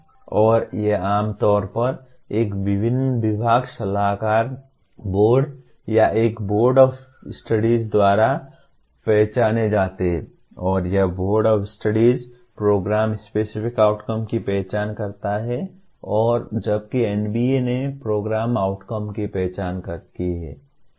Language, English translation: Hindi, And these are generally are identified by a department advisory board or a Board of Studies and this Board of Studies identifies the Program Specific Outcomes and whereas NBA has identifies the Program Outcomes